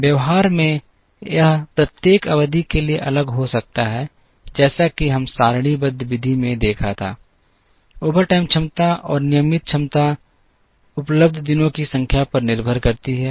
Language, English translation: Hindi, In practice it can be different for each period, as we saw in the tabular method; the overtime capacity and the regular time capacity depend upon the number of days that are available